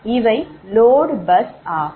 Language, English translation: Tamil, they are load bus